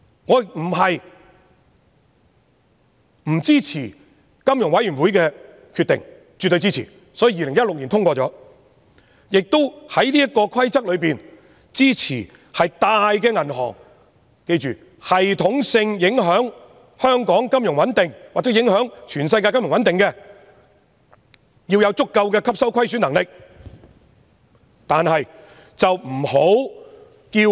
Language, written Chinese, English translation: Cantonese, 我並非不支持金融穩定理事會的決定，我是絕對支持的，所以2016年通過了法例，而且支持在這個規則之下，系統性影響香港金融穩定或全世界金融穩定的大型銀行要有足夠的吸收虧損能力。, Not that I do not support FSBs decision I absolutely do and that is why I voted for the legislation in 2016 and support the requirement under the Rules for big banks that systemically affect the financial stability of Hong Kong or the world to have sufficient loss - absorbing capacity